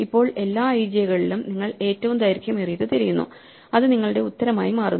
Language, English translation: Malayalam, Now, among all the i js you look for the longest one and that becomes your answer